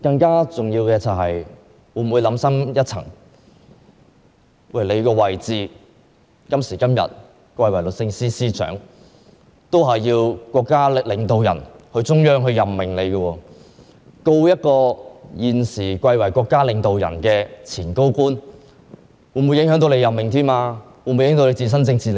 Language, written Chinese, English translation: Cantonese, 更重要的是，市民會認為，她今天之所以貴為律政司司長，是由國家領導人及中央政府任命的，如果檢控現時貴為國家領導人之一的前高官梁振英，便會影響她的任命及自身的政治利益。, More importantly people think that she gets her eminent position of Secretary for Justice today because Chinese state leaders and the Central Government made the appointment . The prosecution of LEUNG Chun - ying who is a former government official and also an eminent Chinese state leader at present will affect her appointment and her own political interests